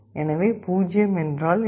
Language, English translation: Tamil, So, what is 0